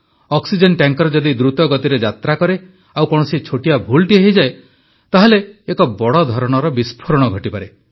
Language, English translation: Odia, If an oxygen tanker moves fast, the slightest error can lead to the risk of a big explosion